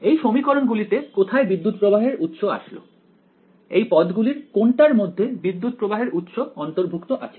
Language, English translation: Bengali, In these equations where did the current source find an appearance which of the terms contains the current source